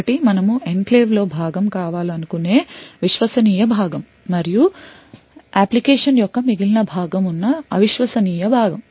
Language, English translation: Telugu, One is the trusted part which you want to be part of the enclave and also the untrusted part where the remaining part of the application is present